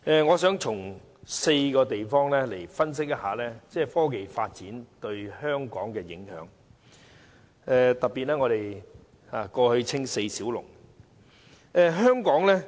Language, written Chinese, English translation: Cantonese, 我想從4方面分析科技發展對香港的影響，特別是香港過去被稱為四小龍之一。, I would like to analyse the impact of technology development on Hong Kong in four aspects particularly when Hong Kong was dubbed one of the Four Little Dragons in the past